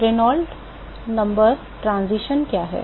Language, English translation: Hindi, What is the Reynolds number transition